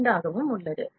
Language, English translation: Tamil, 2 mm can be there